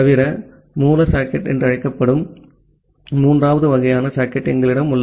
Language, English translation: Tamil, Apart from that we have a third kind of socket that is called raw socket